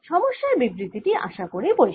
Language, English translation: Bengali, is the problem statement clear